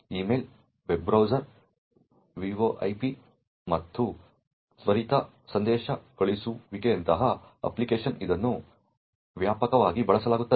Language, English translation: Kannada, It is widely used for applications such as email, web browsing, VoIP and instant messaging